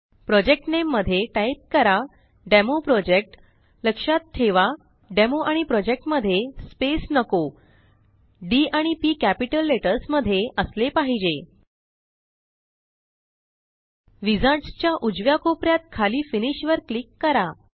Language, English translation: Marathi, In the project name ,Type DemoProject (please note that their is no space between Demo and Project D P are in capital letters) Click Finish at the bottom right corner of the wizards